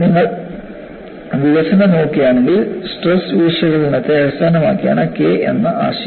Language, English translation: Malayalam, And if you look at the development, the concept of K was based on stress analysis